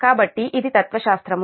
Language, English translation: Telugu, so this is the philosophy